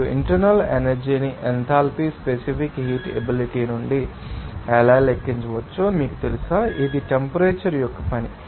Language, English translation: Telugu, And also that enthalpy an internal energy, how it can be calculated from the specific heat capacity, you know, which is a function of temperature all those things